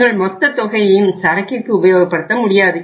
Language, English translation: Tamil, Your entire amount cannot use for funding the inventory